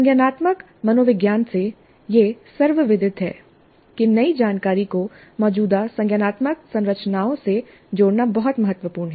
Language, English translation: Hindi, From the cognitive psychology, it is well known that it is very important to link new information to the existing cognitive structures